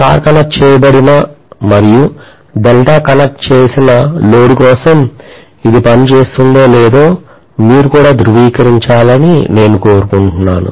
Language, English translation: Telugu, And I also want you guys to verify whether it will work for star connected as well as delta connected load